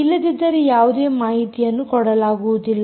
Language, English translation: Kannada, otherwise, simply nothing is given